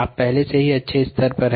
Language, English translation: Hindi, you are already ah had a good level